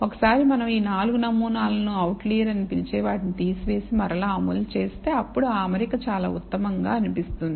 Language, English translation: Telugu, And once we remove these 4 samples which we outliers and then rerun it, now the fit seems to be much better